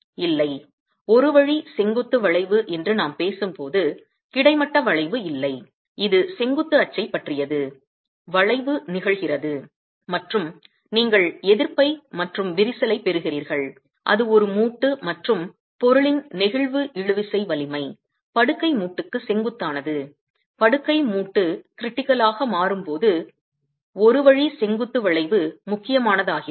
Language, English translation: Tamil, When we talk of one way vertical bending, it's about the vertical axis that the bending is happening and you're getting cracking the resistance is offered by a joint and the flexible tensile strength of the material normal to the bed joint becomes critical in one way vertical bending